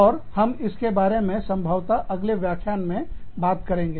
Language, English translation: Hindi, And, we will talk about all this, in probably, the next lecture